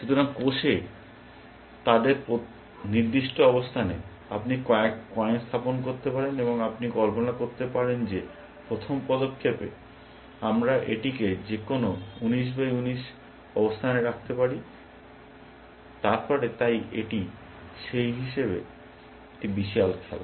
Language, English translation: Bengali, So, their specified locations at cells you can place coins, and you can imagine that in the first move, we can place it an any those ninteen by ninteen locations and then so on, so it is a huge game in that terms